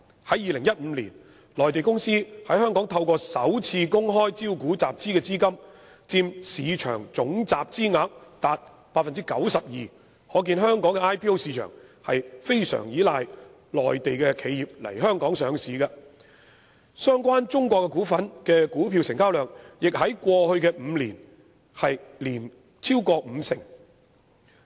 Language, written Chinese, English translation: Cantonese, 在2015年，內地公司在香港透過首次公開招股籌集的資金佔市場總集資額達 92%， 可見香港的首次公開招股市場非常依賴內地企業來港上市，相關中國股份的股票成交量亦在過去5年均超過五成。, In 2015 the funds raised by Mainland companies through initial public offering IPO in Hong Kong accounted for 92 % of the total funds raised in the market . This indicates a heavy reliance of Hong Kongs IPO market on the listing of Mainland companies in Hong Kong . And the trading of China - related stocks accounted for over 50 % of the total trading volume over the past five years